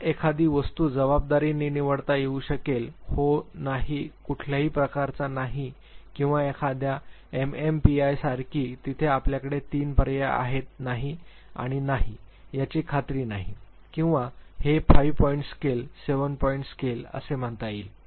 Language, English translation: Marathi, It could be a forced choice type of a thing yes no type of a pattern, or like a MMPI where you have three options yes no and not sure, or it could be say a 5 point scale, 7 point scale